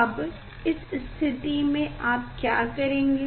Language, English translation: Hindi, in this condition, now what we will do